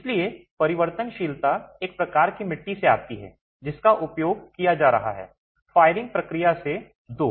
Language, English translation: Hindi, So, variability comes one from the type of clay that is being used, two from the firing process